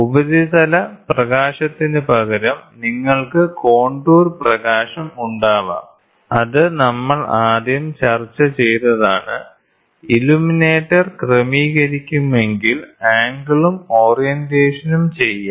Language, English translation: Malayalam, So, instead of the surface illumination, you can have contour illumination, which was the first thing which we discussed, the angle and the orientation can also be done of the illuminator should be adjusted